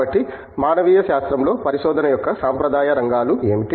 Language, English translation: Telugu, So, tell us, what are traditional areas of research in humanities